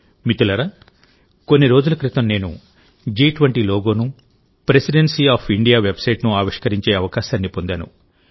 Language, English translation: Telugu, Friends, a few days ago I had the privilege of launching the G20 logo and the website of the Presidency of India